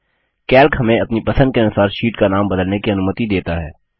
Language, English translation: Hindi, Calc provides provision to rename the sheets according to our liking